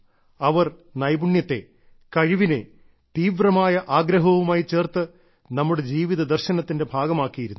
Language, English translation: Malayalam, They have interlinked skill, talent, ability with faith, thereby making it a part of the philosophy of our lives